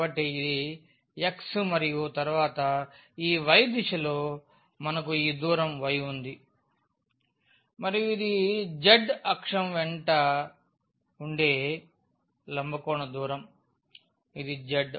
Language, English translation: Telugu, So, this is x here and then along this y direction we have this distance y and then this is the perpendicular distance along the z axis, this is the z